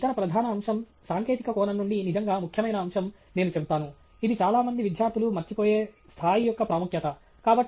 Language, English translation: Telugu, And the other major aspect, I would say the really important aspect from a technical perspective, which many students miss out on is the importance of the scale